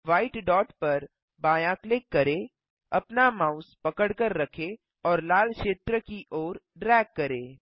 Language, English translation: Hindi, Left click the white dot, hold and drag your mouse to the red area